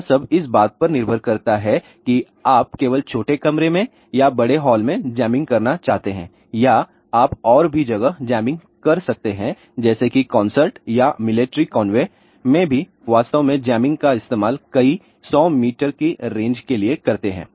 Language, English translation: Hindi, It all depends upon whether you want to do jamming only in a small room or in a big hall or you want to even do a jamming at several you know concerts or even for you can say ah military convey they actually do a jamming for several hundreds of meter range also